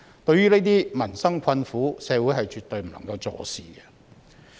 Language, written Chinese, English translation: Cantonese, 對於這些民生困苦，社會絕對不能坐視。, Society must not sit back and do nothing in face of these livelihood difficulties